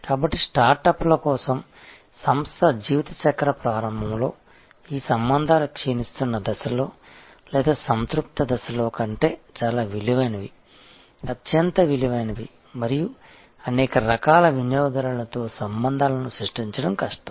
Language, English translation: Telugu, So, for startups, for at the begging of the life cycle of organization, these relationships are highly, highly valuable much more valuable than at the declining stage or at the saturation stage and it is difficult to create relationship with a large variety of customers